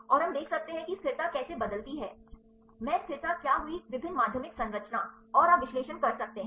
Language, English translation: Hindi, And we can see how the stability varies, what happened the stability in different secondary structure and you can do the analysis